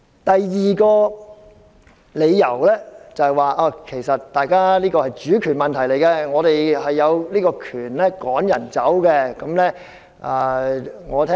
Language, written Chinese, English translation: Cantonese, 第二個理由是事件涉及主權問題，所以我們有權趕走某人。, The second reason is that the incident has something to do with sovereignty so we have the right to expel someone